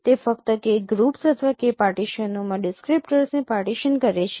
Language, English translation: Gujarati, It simply partitions the descriptors into k into k groups or k partitions